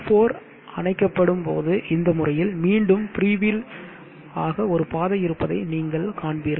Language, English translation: Tamil, And when q4 is switched off you will see that there is a path for it to freewheel in this fashion up again like this